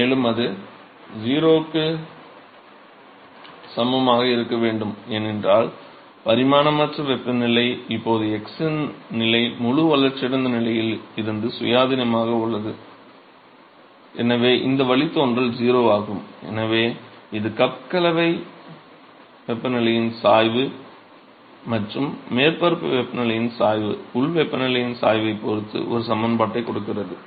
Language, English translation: Tamil, And that should be equal to 0 because the dimensionless temperature is now a independent of the x position the fully developed regime and therefore, this derivative is 0 and therefore so, that this gives you an expression which relates the gradient of the cup mixing temperature and the gradient of the surface temperature, with respect to the gradient of the local temperature